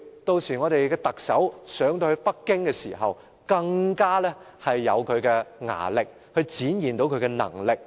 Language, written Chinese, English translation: Cantonese, 屆時，我們的特首上到北京，便更加有力量去展現出她的能力。, In that case when our Chief Executive goes to Beijing she will be much more able to show that she is competent